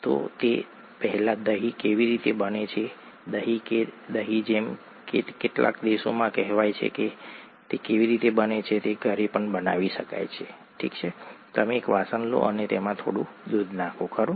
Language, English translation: Gujarati, So before that how is curd made, curd or yoghurt as it is called in some countries, how is it made, it can be made at home, you take a vessel and you put some milk into it, right